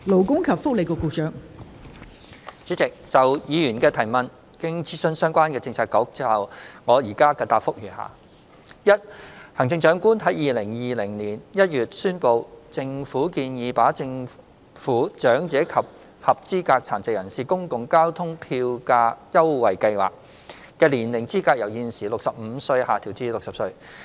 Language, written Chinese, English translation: Cantonese, 代理主席，就議員的質詢，經諮詢相關政策局後，我現答覆如下：一行政長官在2020年1月宣布，政府建議把"政府長者及合資格殘疾人士公共交通票價優惠計劃"的年齡資格由現時65歲下調至60歲。, Deputy President having consulted the relevant Policy Bureaux my reply to the Members question is set out below 1 The Chief Executive announced in January 2020 the proposal of lowering the eligible age of the Government Public Transport Fare Concession Scheme for the Elderly and Eligible Persons with Disabilities from the existing 65 to 60